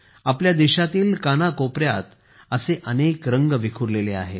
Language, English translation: Marathi, In our country, there are so many such colors scattered in every corner